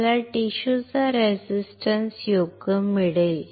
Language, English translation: Marathi, I will get the resistance of the tissue right